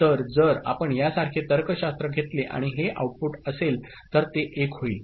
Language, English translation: Marathi, So, if you take a logic like this and then is this output, it will become 1